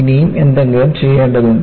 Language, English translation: Malayalam, Something more needs to be done